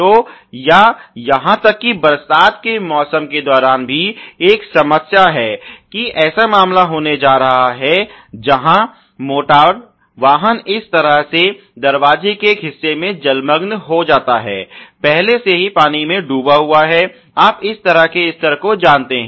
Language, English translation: Hindi, So, or even during let say rainy season there is a problem that there is going to be a case where the automotive goes in a submerged manner in a part of this door is already submerged in water you know this kind of a level